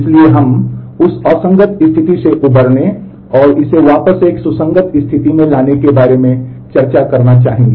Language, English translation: Hindi, So, we would like to discuss how to recover from that inconsistent state and bring it back to a consistent state